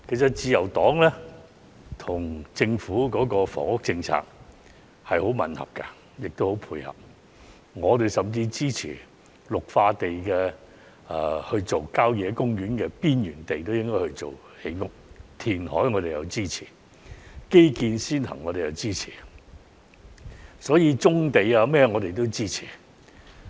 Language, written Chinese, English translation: Cantonese, 自由黨與政府的房屋政策立場吻合，亦很配合，我們甚至支持將綠化地帶或郊野公園邊陲地帶用作建屋、填海、基建先行等，亦支持發展棕地等。, The Liberal Partys stance on the housing policy is consistent and also in line with that of the Government and we even support the idea of using greenbelts or the peripheral regions of country parks for housing development reclamation and giving priority to infrastructure development . We also support brownfield development and so on